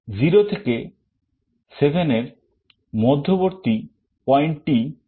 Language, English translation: Bengali, What is the middle point of 0 to 7